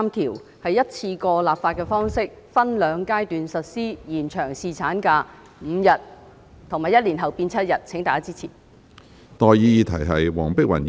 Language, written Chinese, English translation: Cantonese, 該修正案是以一次性立法的方式，分兩階段實施，把侍產假延長至5天，以及在1年後增加至7天，請大家支持。, This amendment seeks to enact a one - off legislation to be implemented in two stages for increasing paternity leave to five days and further to seven days one year thereafter . Will Members please give support